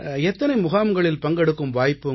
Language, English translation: Tamil, How many camps you have had a chance to attend